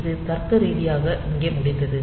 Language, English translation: Tamil, So, it is logically ended here